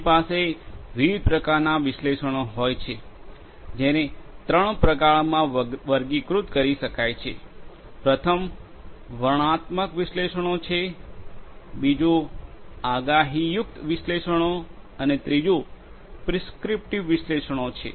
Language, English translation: Gujarati, We could have analytics of different types which can be classified into three; first is the descriptive analytics, second is the predictive analytics and the third is the prescriptive analytics